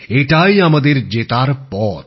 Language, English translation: Bengali, This indeed is the path to our victory